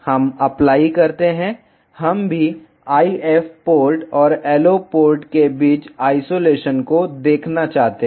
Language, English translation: Hindi, We apply we also want to see the isolation between the IF port and the LO port apply ok